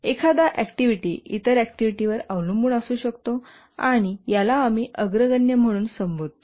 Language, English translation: Marathi, An activity may be dependent on other activities and this we call as the precedence relation